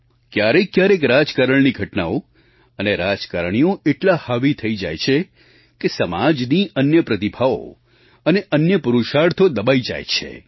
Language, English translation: Gujarati, At times, political developments and political people assume such overriding prominence that other talents and courageous deeds get overshadowed